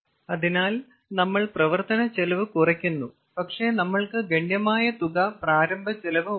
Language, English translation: Malayalam, so we are saving the running cost, but we have got substantial amount of initial cost